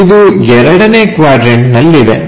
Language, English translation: Kannada, So, it is in the second quadrant